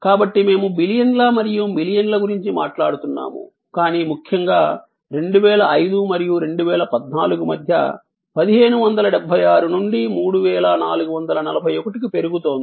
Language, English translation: Telugu, So, we are talking about billions and billions, but most importantly 1576 growing to 3441 between 2005 and 2014